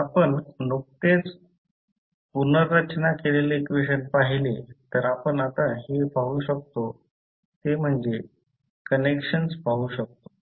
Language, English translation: Marathi, So, if you see the equation which we have just rearranged so what we can now see we can see the connections